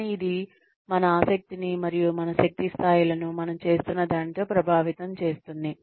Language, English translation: Telugu, But, it does affect our interest in, and our energy levels with whatever we are doing